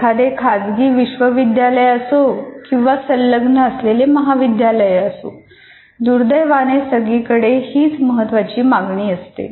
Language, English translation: Marathi, Whether it is a private university or in an affiliated college, you still have this unfortunately or incidentally is a major requirement